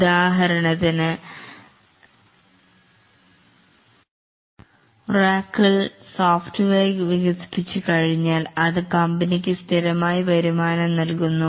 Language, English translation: Malayalam, For example, Oracle software, once it was developed, it gives a steady revenue to the company